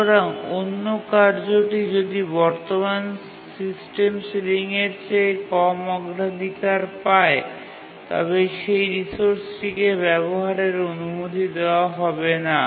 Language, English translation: Bengali, And if the priority of the task is less than the current system ceiling, less than or equal to, then it is not allowed to access the resource